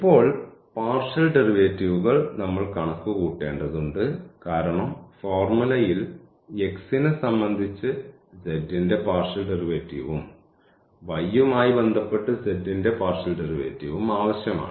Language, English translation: Malayalam, And, now we need to compute because in the formula we need the partial derivative of z with respect to x and also the partial derivative of z with respect to y